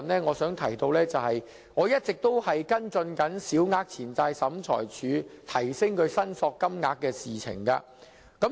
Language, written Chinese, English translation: Cantonese, 我想指出，我一直跟進提升小額錢債審裁處申索金額的事情。, I wish to point out that I have been following up the issue concerning the claim limit in the Small Claims Tribunal SCT